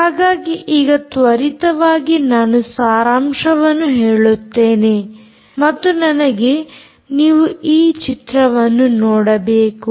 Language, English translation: Kannada, so let me quickly summarize this protocol and i want you to look at this picture